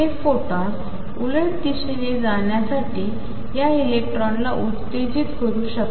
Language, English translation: Marathi, It can stimulate this electron to give out the photon going the opposite direction